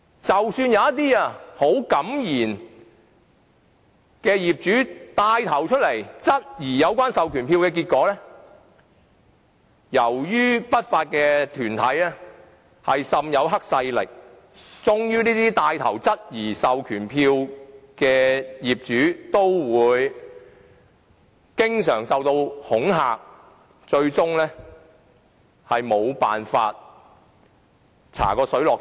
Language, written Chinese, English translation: Cantonese, 即使有一些很敢言的業主站出來牽頭質疑有關授權書，結果往往是由於不法團體被黑勢力滲透，這些牽頭質疑授權書的業主均會經常受恐嚇，令事情最終無法查個水落石出。, Even if some very outspoken owners are willing to come forward and take the lead to question the proxy forms the usual outcome is given the infiltration of triad forces into these unlawful groups owners who have taken the lead to question the proxy forms would often be subjected to intimidation eventually making it impossible to find out the truth